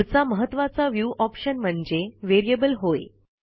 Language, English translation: Marathi, Next we have the most important viewing option called the Variable